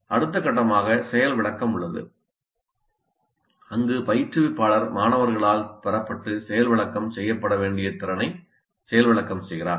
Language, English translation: Tamil, The next phase is demonstration where the instructor demonstrates the competency that is to be acquired and demonstrated by the students